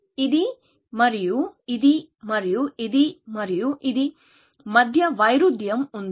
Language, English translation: Telugu, There is a contradiction between this and this, and this and this